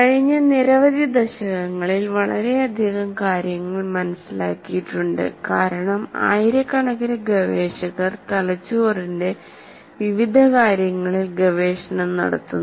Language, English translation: Malayalam, In the last several decades, there is a lot more that has been understood because thousands and thousands of researchers are working on various facets of the brain